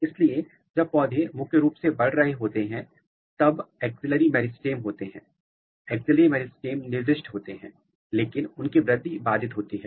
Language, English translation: Hindi, So, what I said that when plant is primarily growing then there are axillary meristem, axillary meristems are specified, but their growth is inhibited